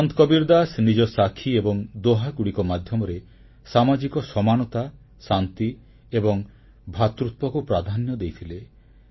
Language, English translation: Odia, Sant Kabir Das ji, through his verses 'Saakhis' and 'Dohas' stressed upon the virtues of social equality, peace and brotherhood